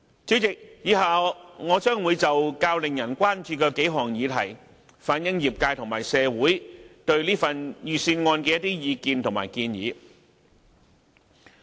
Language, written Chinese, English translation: Cantonese, 主席，以下我將會就數項較令人關注的議題，反映業界和社會對預算案的意見和建議。, President in the following part of my speech I am going to relay the views and suggestions of the industries and society on the Budget with particular reference to several topics that are of greater concern